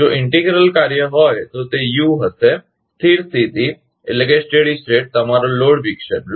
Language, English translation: Gujarati, If integral action is there, then it will be U; steady state will be your load disturbance